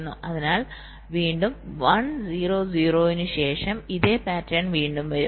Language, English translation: Malayalam, so again, after one, zero, zero, this same pattern will come again